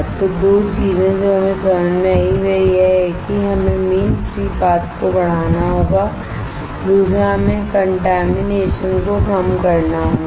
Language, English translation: Hindi, So, 2 things that we understood is one is we have to increase the mean free path second is we have to reduce the contamination